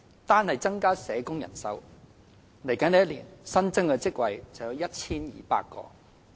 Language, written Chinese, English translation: Cantonese, 單是增加社工人手，來年新增職位便有 1,200 個。, There will be 1 200 additional posts over the next year to boost the manpower of social workers alone